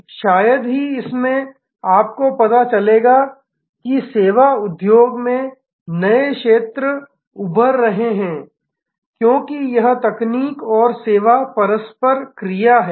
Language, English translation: Hindi, In that itself perhaps you will discover that in the service industry, new sectors are emerging, because of this technology and service interplay